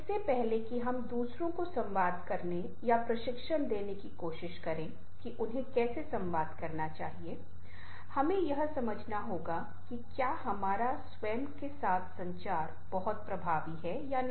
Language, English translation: Hindi, before we try to communicate or give training to others how they should communicate, we have to understand whether communication with ourselves is very effective